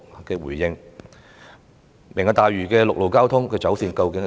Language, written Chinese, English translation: Cantonese, 究竟"明日大嶼願景"的陸路交通走線為何？, What exactly is the road alignment planned for the Lantau Tomorrow Vision?